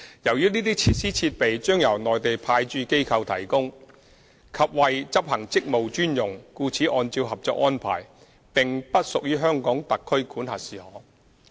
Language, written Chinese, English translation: Cantonese, 由於這些設施設備將由內地派駐機構提供及為執行職務專用，故此按照《合作安排》並不屬於香港特區管轄事項。, Since these facilities and equipments will be provided and exclusively used by the Mainland Authorities Stationed at the Mainland Port Area they will not be matters under the jurisdiction of HKSAR in accordance with the Co - operation Arrangement